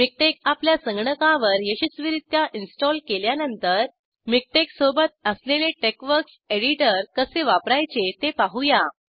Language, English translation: Marathi, After successfully installing MikTeX on your computer, let us see how to use the TeXworks editor which comes with MikTeX